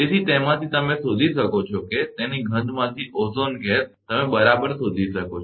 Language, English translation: Gujarati, So, from that you can find out that is, ozone gas from its smell, you can find out right